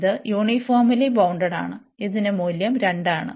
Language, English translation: Malayalam, This is uniformly bounded, and this value is 2